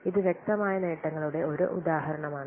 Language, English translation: Malayalam, So this is an example of tangible benefits